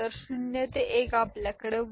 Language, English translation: Marathi, So, 0 to 1 we have a borrow of 1